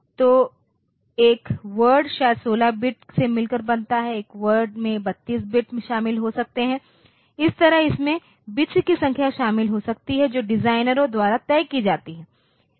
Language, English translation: Hindi, So, a word maybe consisting of say 16 bit, a word may consist of 32 bits, that way it can consist of number of bits that is fixed by the designers